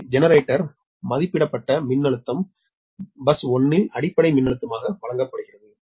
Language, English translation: Tamil, so the generator rated voltage is given as the base voltage at bus one